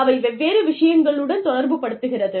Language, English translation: Tamil, And, they correlate, different things